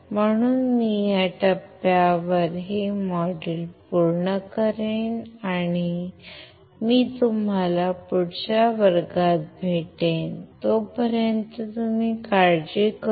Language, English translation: Marathi, So, I will finish this module at this point, and I will see you in the next class till then you take care